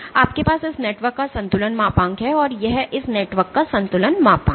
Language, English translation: Hindi, So, you have this is the equilibrium modulus of this network, this is the equilibrium modulus of this network